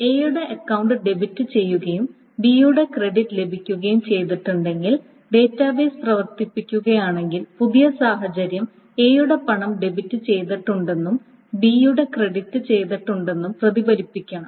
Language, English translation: Malayalam, So if A's account has been debited and B's has been credited, after the database again comes up or again the database is being operated amount, the new state should reflect that A's money has been debited and B's has been credited